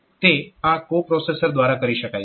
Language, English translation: Gujarati, So, those can be done by this co processor